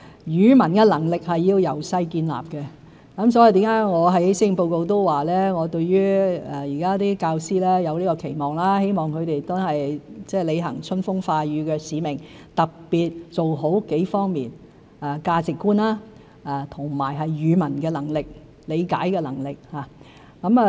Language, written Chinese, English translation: Cantonese, 語文能力需要從小建立，所以我在施政報告中說，對教師有期望，希望他們履行春風化雨的使命，特別做好幾方面的工作：價值觀、語文能力和理解能力的教育。, Language proficiency needs to be developed at an early age thus I have mentioned in the Policy Address that I have expectations on teachers . I hope that they will perform their mission of nurturing talents by attaching great importance to several areas values education language proficiency and reading proficiency